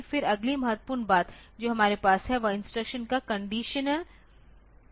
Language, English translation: Hindi, Then the next important thing that we have is the conditional execution of instructions